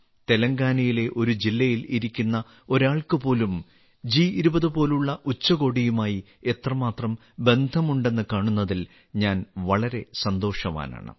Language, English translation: Malayalam, I was very happy to see how connected even a person sitting in a district of Telangana could feel with a summit like G20